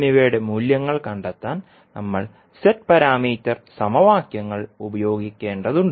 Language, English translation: Malayalam, We have to use the Z parameter equations to find out the values of I1 and I2